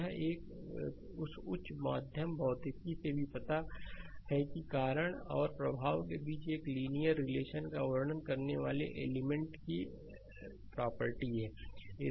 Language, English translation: Hindi, This you this you know even from your higher secondary physics this you know that is a property of an element describing a linear relationship between cause and effect right